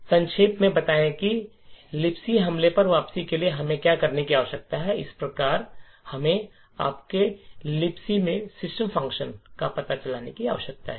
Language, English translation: Hindi, So to summarize what we need to mount a return to LibC attack is as follows, we need to find the address of the system function in your LibC